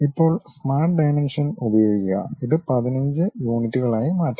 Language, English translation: Malayalam, Now, use Smart Dimensions maybe change it to 15 units